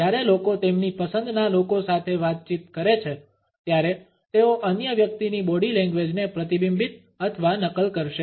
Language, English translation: Gujarati, When people converse with people they like, they will mirror or copy the other person’s body language